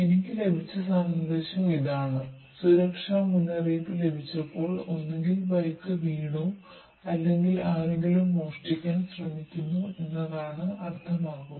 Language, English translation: Malayalam, Now I will show this is the message I got, when I got the safety alert means either the bike is fallen or someone tries to steal it